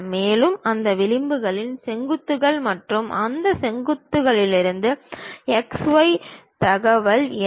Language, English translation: Tamil, And, in that edges which are the vertices and in those vertices what are the x y information